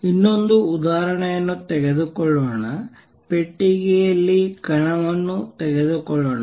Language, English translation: Kannada, Let us take another example let us take particle in a box